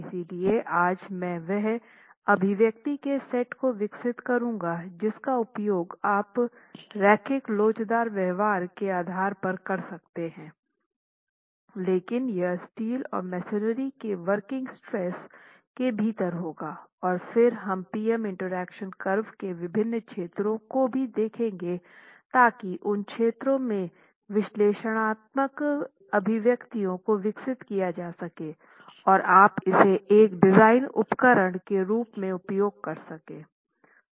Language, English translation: Hindi, So what I'm going to be doing today is develop the set of expressions that you can use based on the linear elastic behavior but with the use of the working stresses for both steel and the masonry and then look at the different zones of the PM infraction curve so that analytical expressions in those zones can be developed and you can use that as a design tool